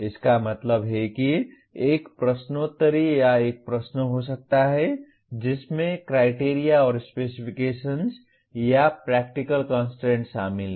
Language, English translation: Hindi, That means there could be a quiz or a question that involves Criteria and Specifications or Practical Constraints